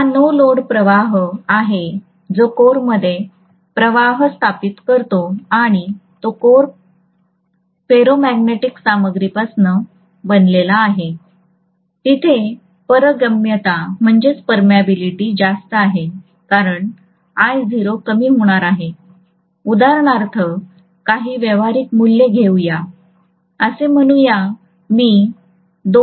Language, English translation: Marathi, That is the no load current which is establishing the flux in the core and the core is made up of ferromagnetic material the permeability is really really high because of the which I naught is going to be low, let’s take for example some practical values, let’s say I am going to take a 2